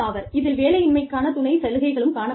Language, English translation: Tamil, Supplemental unemployment benefits also, can be there